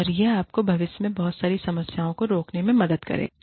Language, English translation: Hindi, And, that will help you prevent, a lot of problems, in future